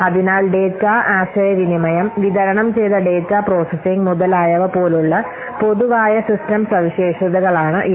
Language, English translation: Malayalam, So these are the general system characteristics data like data communication, distributed data processing, etc